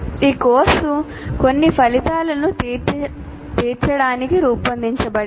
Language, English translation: Telugu, So, and this course has to be designed to meet certain outcomes